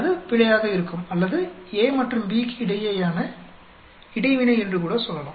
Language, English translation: Tamil, That will be the error or we can even say that is the interaction between A and B